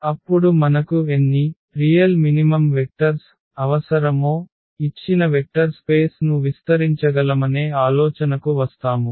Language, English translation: Telugu, Then we will come up with the idea now that how many actual minimum vectors do we need so, that we can span the given vector space